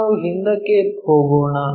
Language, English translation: Kannada, So, let us go back